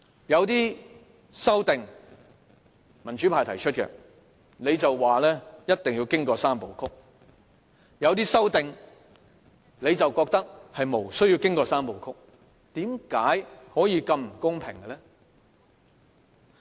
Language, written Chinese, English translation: Cantonese, 有些由民主派提出的修訂，你表示一定要經過"三部曲"，有些修訂你卻認為不需要經過"三部曲"，為甚麼可以這麼不公平？, In the case of the amendments proposed by the pro - democracy camp you insist that they must go through the three steps you require . But then you do not insist on these three steps when you deal with certain other amendments . How can you be so unfair?